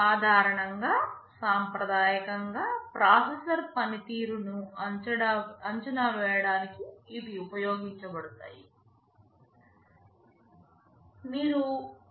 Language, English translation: Telugu, Normally, these are traditionally used for evaluating processor performances